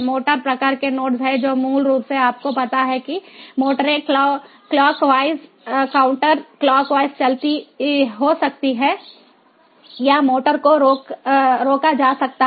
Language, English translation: Hindi, there is a motor type nodes which basically are, you know, the motors can be moving clock wise, counter clockwise, or the motor can be stopped